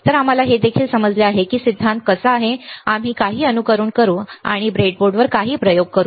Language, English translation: Marathi, So, that we also understand that how the theory is there, we do some simulations and we will do some experiments on the breadboard all right